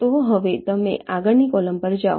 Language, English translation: Gujarati, so now you move to the next columns